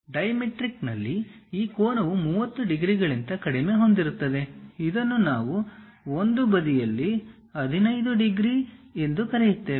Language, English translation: Kannada, In dimetric, this angle is lower than 30 degrees, which we call 15 degrees on one side